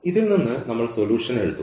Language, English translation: Malayalam, So, writing the solution out of this